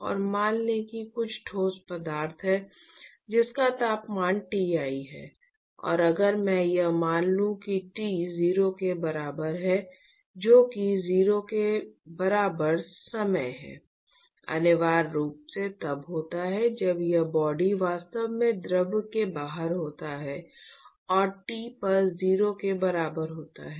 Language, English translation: Hindi, And, let us say that there is some solid material, whose temperature is Ti, and if I assume that t equal to 0 that is time equal to 0 is essentially when the when this body is actually outside the fluid and at T equal to 0, I drop it inside